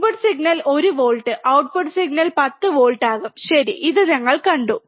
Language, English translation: Malayalam, Input signal was 1 volt, output signal will become 10 volts, right, this what we have seen